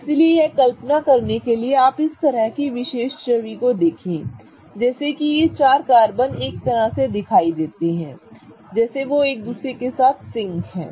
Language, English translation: Hindi, So, in order to visualize this, what I am going to ask you to do is kind of look at this particular image like this such that these four carbons kind of appear such that they are in sync with each other